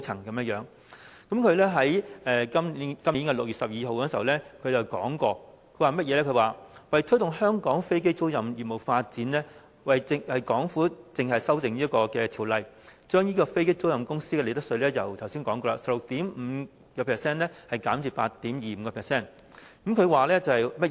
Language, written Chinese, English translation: Cantonese, 他在今年6月12日時表示，為推動香港飛機租賃業務發展，港府計劃修例，將飛機租賃公司的利得稅稅率——我剛才已經提到——由 16.5% 降至 8.25%。, On 12 June this year he said that in order to promote Hong Kongs aircraft leasing business the Hong Kong Government was planning to amend the relevant legislation with a view to reducing the profits tax rate for aircraft lessors from 16.5 % to 8.25 % . I have mentioned this reduction just now